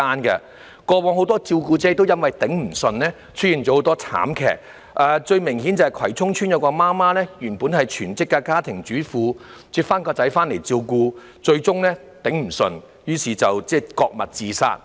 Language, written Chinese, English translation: Cantonese, 以往有很多照顧者因抵受不住而發生慘劇，最明顯是葵涌邨有位媽媽原本是全職家庭主婦，但從院舍接兒子回家照顧後，最終因抵受不住而割脈自殺。, In the past tragedies occurred because many carers could not withstand the pressure anymore . The most obvious example concerns the mother in Kwai Chung Estate who was a full - time housewife . After taking her son home from the residential care homes RCHs for caring she eventually failed to withstand the pressure and slashed her wrist to commit suicide